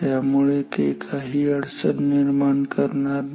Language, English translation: Marathi, So, no so, they do not create any problem